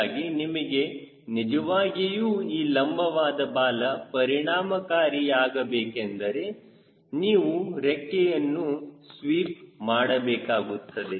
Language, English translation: Kannada, so if you really want this vertical tail be more effective, you sweep the wing